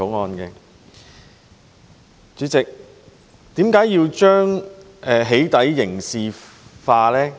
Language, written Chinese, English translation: Cantonese, 代理主席，為何要將"起底"刑事化呢？, Deputy President why should we turn the acts of doxxing into a criminal offence?